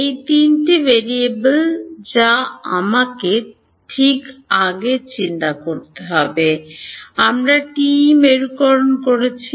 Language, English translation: Bengali, E z these are the three variables that I have to think about right previously, we are doing TE polarization